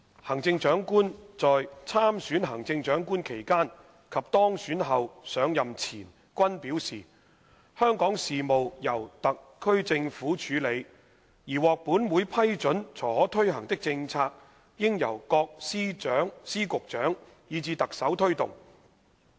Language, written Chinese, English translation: Cantonese, 行政長官在參選行政長官期間及當選後上任前均表示，香港事務由特區政府處理，而獲本會批准才可推行的政策應由各司局長以至特首推動。, When she was running for the CE election as well as after being elected and before assuming office the Chief Executive CE stated that Hong Kongs affairs were to be handled by the SAR Government and the policies which might be implemented only with approval of this Council should be pushed by the various Secretaries and Directors of Bureaux and even CE